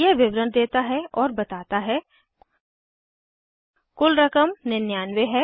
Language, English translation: Hindi, It gives the details, ok and says the total amount is 99